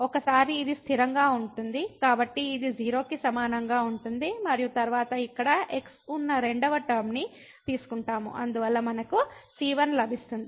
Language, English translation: Telugu, So, once we this is a constant so this will be equal to 0 and then we take the second term which will be having here there so we will get the out of this